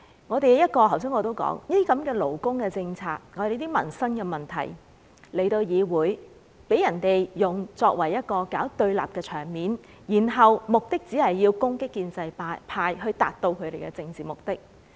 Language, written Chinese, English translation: Cantonese, 正如我剛才所說，勞工政策和民生問題在議會被人用來搞對立，反對派只是為了攻擊建制派，以達至其政治目的。, That is really frustrating . As I said just now labour policies and livelihood issues have been manipulated to stir up confrontation in the Council . The opposition Members seek to attack the pro - establishment camp in order to serve their political purposes